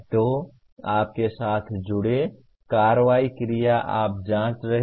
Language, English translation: Hindi, So the action verbs associated with are either you are checking